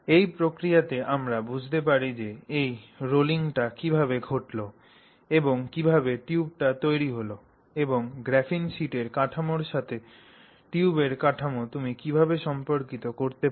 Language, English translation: Bengali, And in this process we can understand how that rolling happened and how that tube came about and how you can relate some things with the, that relate to the structure of the graphene sheet to the structure of the tube